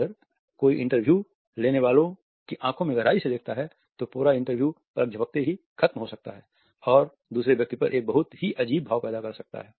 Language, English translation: Hindi, If somebody stares deeply into the interviewers eyes, the entire interview may end up with minimal blinking and creating a very strength impression on the other person